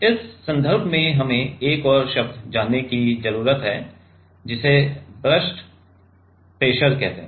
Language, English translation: Hindi, Now in this context we need to know another term called burst pressure